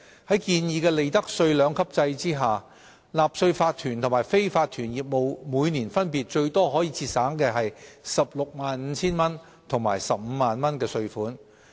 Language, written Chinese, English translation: Cantonese, 在建議的利得稅兩級制下，納稅法團和非法團業務每年分別最多可節省 165,000 元和 150,000 元稅款。, Under the proposed two - tiered profits tax rates regime a tax - paying corporation and unincorporated business may save up to 165,000 and 150,000 in tax each year respectively